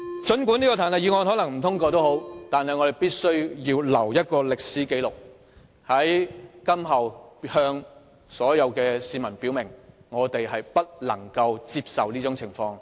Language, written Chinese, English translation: Cantonese, 儘管彈劾議案可能不獲通過，但我們必須留下一個歷史紀錄，在日後向市民表明，我們絕不接受這種做法。, Although this impeachment motion may not be passed we must leave a record in history to tell members of the public clearly that we definitely do not accept this kind of approach